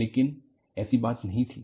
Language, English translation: Hindi, But, that was not the case